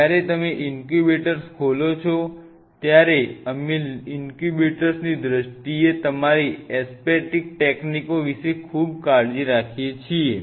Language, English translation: Gujarati, While your opening the incubator we very ultra careful about your aseptic techniques in terms of the incubator